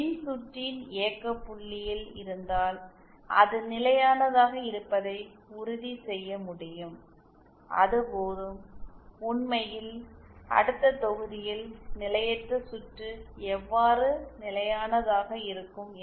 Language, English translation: Tamil, If just at the operating point of the circuit you can ensure that the circuit is stable then that is enough and in fact in the next module we shall be discussing how potentially unstable circuit can be made stable